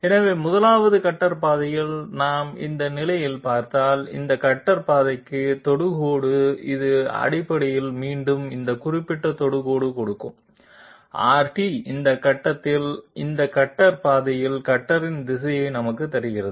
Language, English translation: Tamil, So, on the 1st cutter path if we look at it at this position, the tangent to this cutter path which is basically once again that R t that gives us this particular tangent gives us the direction of the cutter along this cutter path at this point